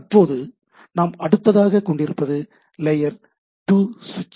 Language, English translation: Tamil, Now, we are having layer 2 type of devices